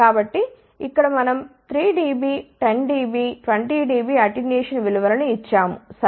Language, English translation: Telugu, So, here we have given the values for 3 Db, 10 dB, 20 dB attenuation ok